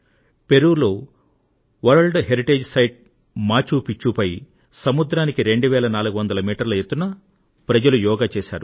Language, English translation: Telugu, In China, Yoga was practiced on the Great Wall of China, and on the World Heritage site of Machu Picchu in Peru, at 2400 metres above sea level